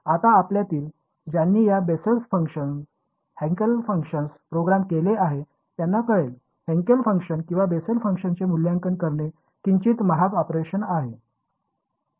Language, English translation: Marathi, Now those of you who have programmed these Bessel functions Hankel Hankel functions will know; that to evaluate Hankel function or a Bessel function is slightly expensive operation